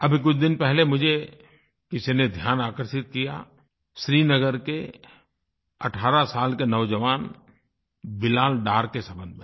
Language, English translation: Hindi, Just a few days ago some one drew my attention towards Bilal Dar, a young man of 18 years from Srinagar